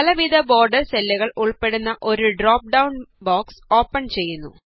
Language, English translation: Malayalam, A drop down box opens up containing several border styles